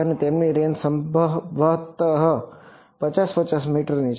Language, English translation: Gujarati, And their range is possibly 50 meters